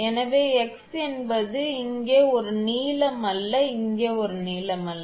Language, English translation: Tamil, So, x is a number not a length here, not a length here